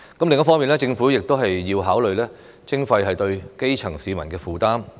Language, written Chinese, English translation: Cantonese, 另一方面，政府亦要考慮徵費對基層市民的負擔。, On the other hand the Government should also consider the burden of charging on the grass roots